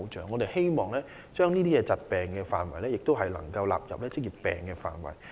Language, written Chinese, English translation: Cantonese, 我們希望將這些疾病納入職業病範圍內。, We hope that such diseases can be included in the scope of occupational diseases